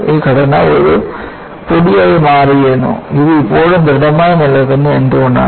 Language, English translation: Malayalam, This structure would have become a powder, while it still remains as solid